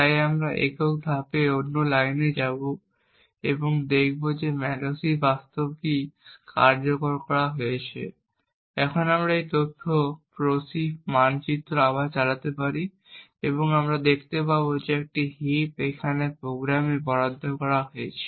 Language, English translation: Bengali, So we will single step to another line and see that the malloc has actually been executed, we can now run this info proc map again and we would see that a heap has now been assigned to the program